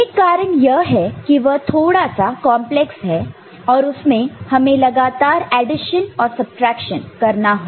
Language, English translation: Hindi, One reason is it is very complex and you need actually repeated number of addition and subtraction